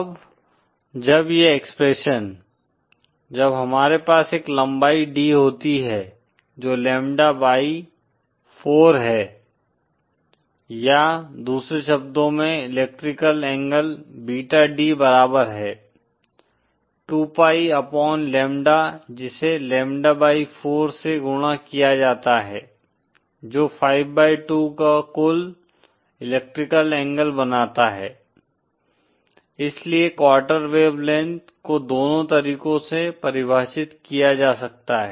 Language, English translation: Hindi, Now when this expression; when we have a length D, given by say lambda by 4 or in other words the electrical angle beta D is equal to 2 pi upon lambda multiplied by the distance lambda by 4 that makes a total electrical angle of 5/2, so either, so the quarter wave length can be defined either ways